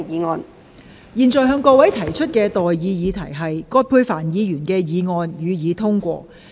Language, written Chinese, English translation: Cantonese, 我現在向各位提出的待議議題是：葛珮帆議員動議的議案，予以通過。, I now propose the question to you and that is That the motion moved by Ms Elizabeth QUAT be passed